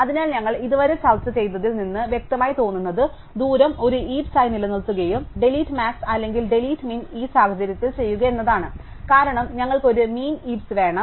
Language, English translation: Malayalam, So, what seems obvious from what we have discussed so far is that we should maintain distance as a heap and use delete max or actually delete min in this case,because we will want a min heap, ok